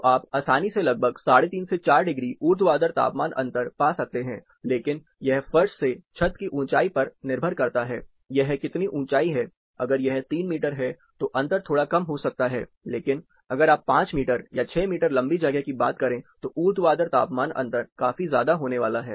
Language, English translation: Hindi, So, you can easily find about 3 and half to 4 degree vertical temperature difference, but it depends on the floor to ceiling height, how much height it is, say if it 3 meters, the difference might be slightly lower, but if you are talking about 5 meter or 6 meter tall space then the vertical temperature difference is going to be considerably different